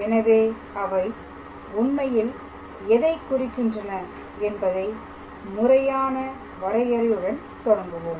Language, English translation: Tamil, So, we will start with a formal definition what do they actually mean